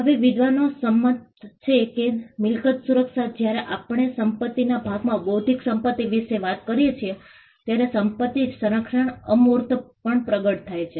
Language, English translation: Gujarati, Now, scholars are in agreement that the property protection, when we talk about the property part of intellectual property, the property protection manifests on intangibles